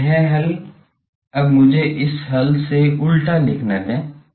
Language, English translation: Hindi, So, this solution now let me write the inverse from this solution